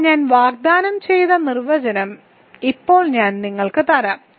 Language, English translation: Malayalam, But now let me actually give you the definition that I promised